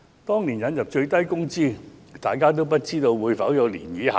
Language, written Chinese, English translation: Cantonese, 當年引入最低工資時，大家皆不知道會否出現漣漪效應。, When the minimum wage was introduced back then people wondered if it would lead to ripple effects